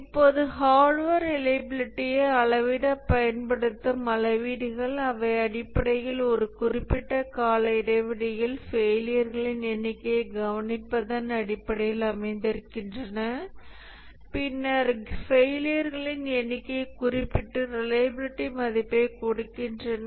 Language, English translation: Tamil, Now the metrics that are used to measure hardware reliability, they are basically based on observing the number of failures over a period of time, long enough time, and then noting the number of failures and giving a reliability value